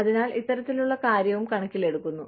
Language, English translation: Malayalam, So, this kind of thing, also counts